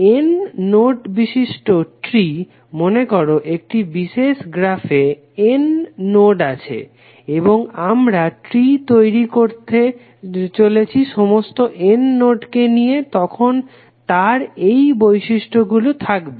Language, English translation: Bengali, Tree of n nodes, suppose if there are n nodes in a particular graph and we are creating tree containing all the n nodes then it will have the following property